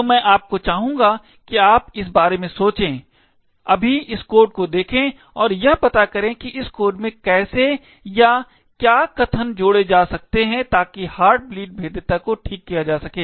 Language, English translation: Hindi, So, what I would like you to think of right now is to look at this code and figure out how or what statements to be added in this code so that the heart bleed vulnerability can be fixed